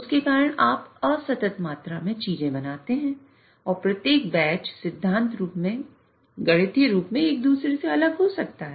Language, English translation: Hindi, Because of that you make things in discrete quantities and every batch can in principle mathematically be different from each other